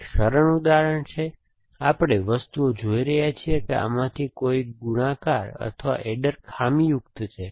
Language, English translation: Gujarati, So, this is a simplified, we have looking at things that one of these either the multiplier or the adder has become faulty